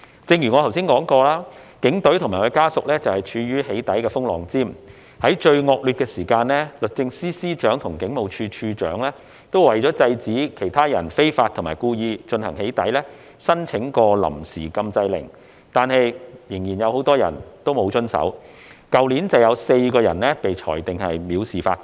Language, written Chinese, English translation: Cantonese, 正如我剛才提到，警隊及其家屬處於"起底"的風浪尖，在最惡劣的時間，律政司司長及警務處處長曾為制止他人非法及故意進行"起底"而申請臨時禁制令，但仍然有很多人沒有遵守，去年便有4人被裁定藐視法庭。, As I have just mentioned police officers and their families were at the forefront of doxxing attacks . In the worst of times the Secretary for Justice and the Commissioner of Police applied for interim injunction orders to restrain persons from unlawfully and wilfully conducting doxxing activities but many people still failed to comply with the orders . For example four persons were convicted of contempt of court last year